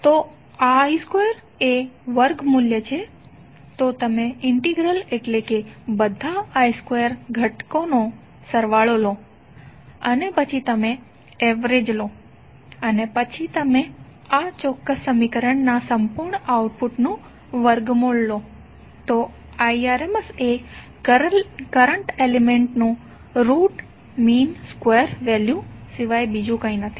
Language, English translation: Gujarati, So I square is the square value, so you take the integral means summation of all I square component and then you take the mean and then you take the under root of the complete output of this particular equation, so I effective is nothing but root of mean square value of the current element